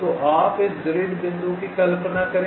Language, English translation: Hindi, so you just imagine this grid point